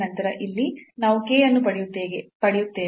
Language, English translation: Kannada, So, this was h here and this was k here